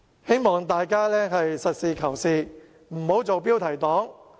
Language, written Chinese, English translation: Cantonese, 希望大家實事求是，不要做"標題黨"。, I hope Members can be practical and realistic . We should not become any clickbait